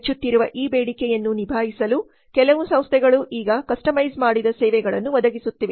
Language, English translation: Kannada, To cash in on this increased demand, some firms are now providing customized services